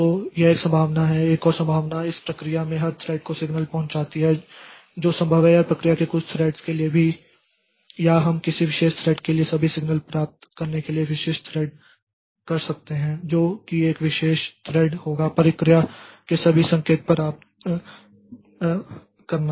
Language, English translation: Hindi, That is also possible or to certain threads of the process or we can specific thread to receive all signals for the, we can have a particular thread which will be receiving all the signals of the process